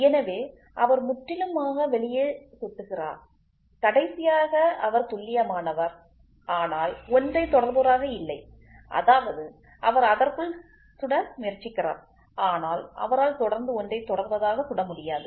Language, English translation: Tamil, So, he is completely hitting way out and the last one is he is accurate, but not precise; that means, to say he is trying to hit within it, but he can he is not precisely hitting